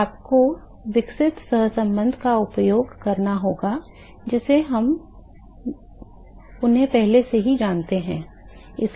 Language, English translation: Hindi, So, you have to use the correlation developed in we already know them